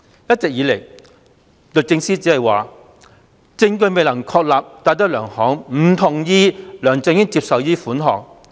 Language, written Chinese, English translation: Cantonese, 一直以來，律政司只表示，證據未能確立戴德梁行不同意梁振英接受這筆款項。, All along DoJ has contended that based on the evidence it has failed to establish DTZs disagreement to LEUNG Chun - yings acceptance of this sum